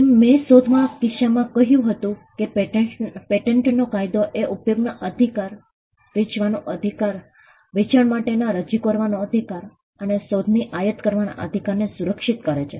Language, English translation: Gujarati, As I said in the case of an invention, patent law, protects the right to make the right to use, the right to sell, the right to offer for sale, and the right to import the invention